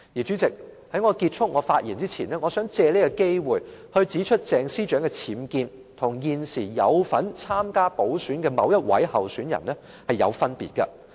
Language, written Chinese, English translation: Cantonese, 主席，在我結束我的發言前，我想藉此機會指出鄭司長的僭建與現時有份參加補選的某位候選人是有分別的。, President before concluding my speech I would like to take this opportunity to say that the UBWs case of Ms CHENG is different from that of a certain candidate now running for a by - election